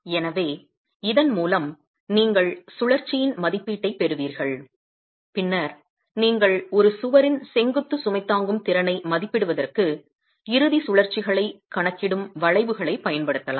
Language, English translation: Tamil, So with this you will you will have an estimate of the rotation and then you can go use curves which are actually accounting for end rotations as well to be able to estimate the vertical load carrying capacity of a wall